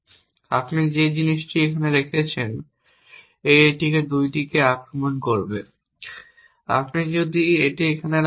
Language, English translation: Bengali, If you put it here it will attack these 2 if you put it here it will attack this if you put here it will attack these 2